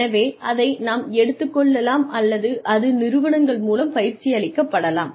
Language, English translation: Tamil, So, that can be taken over or that is done through the organizations